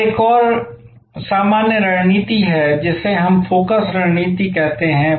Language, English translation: Hindi, Now, there is another generic strategy which we call the focus strategy